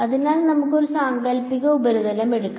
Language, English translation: Malayalam, So, let us take a hypothetical surface